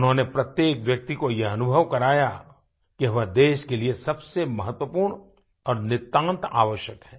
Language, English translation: Hindi, He made everyone feel that he or she was very important and absolutely necessary for the country